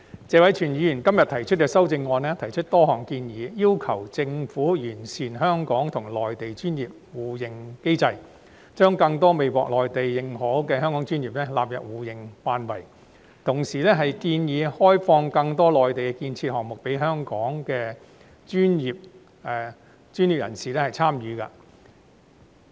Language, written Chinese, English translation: Cantonese, 謝偉銓議員今天提出的修正案載有多項建議，例如要求政府完善香港與內地的專業互認機制，將更多未獲內地認可的香港專業納入互認範圍，同時建議開放更多內地建設項目予香港專業人士參與。, Mr Tony TSE has included a number of suggestions in his proposed amendment today such as urging the Government to perfect the mechanism for mutual recognition of professional qualifications between Hong Kong and the Mainland by including more Hong Kong professional sectors not recognized by the Mainland in the scope of mutual recognition and proposing to open up more construction projects on the Mainland for participation by Hong Kong professional personnel